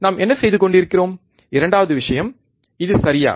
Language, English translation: Tamil, What we are doing second point this one, alright